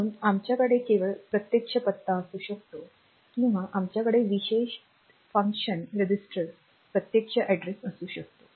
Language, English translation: Marathi, So, we can have only indirect addressing here or we can have direct addressing for the special function registers